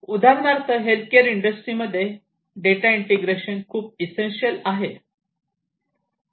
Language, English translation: Marathi, So, for example, in the healthcare industry data integrity is highly essential